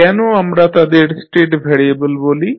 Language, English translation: Bengali, Why we call them state variable